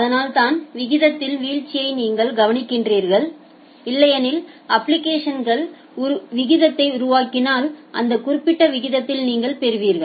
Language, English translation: Tamil, So, that is why you are observing a drop in the rate, but if otherwise the application is generating rate you will get at that particular rate